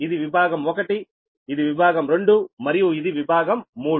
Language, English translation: Telugu, this is section one, this is section two and this is section three